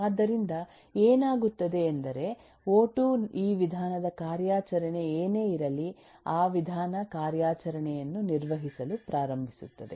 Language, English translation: Kannada, so what happens is when o2 saves that, whatever is this method operation, that method operation will start being performed